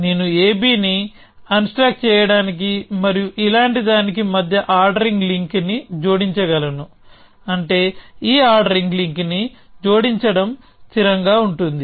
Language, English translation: Telugu, I can add an ordering link between unstack a b and this like this which means it is consistent to add this ordering link